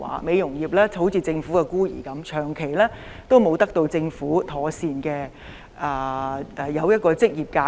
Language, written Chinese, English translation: Cantonese, 美容業就像政府的孤兒，長期沒有得到政府制訂一個妥善的職業架構。, The beauty industry is like an orphan of the Government . All along the Government has not formulated a professional framework for the industry